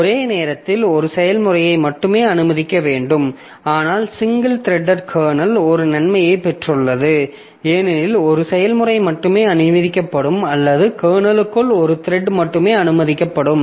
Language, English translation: Tamil, But this single threaded kernel, so it has got the advantage because only one process will be allowed or only one thread will be allowed inside the kernel